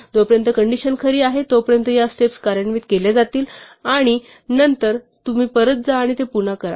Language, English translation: Marathi, So, so long as the condition is true these steps will be executed and then you go back and do it again